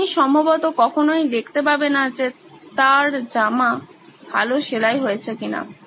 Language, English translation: Bengali, You probably never find out if his clothes have stitched well or not